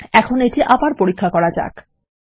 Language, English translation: Bengali, Now Ill test this again